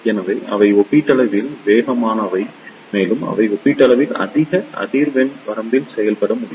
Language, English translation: Tamil, So, they are relatively faster and they can operator up to relatively high frequency range